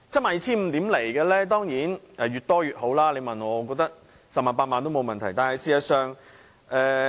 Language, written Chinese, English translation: Cantonese, 賠償額當然越高越好，你問我，我認為 100,000 元、80,000 元都沒問題。, Of course as far as compensation is concerned the higher amount the better . If you ask me I am fine with 100,000 or 80,000